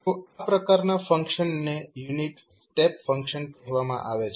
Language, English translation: Gujarati, So, this kind of function is called unit step function